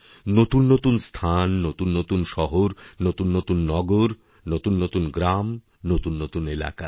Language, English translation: Bengali, New places, new cities, new towns, new villages, new areas